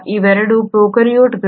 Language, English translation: Kannada, Both of them are prokaryotes